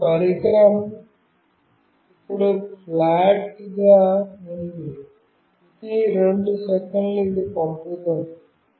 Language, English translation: Telugu, And the device is flat now, every two second it is sending this